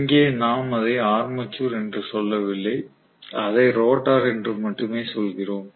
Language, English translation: Tamil, Here we do not call it as armature, we only call it as rotor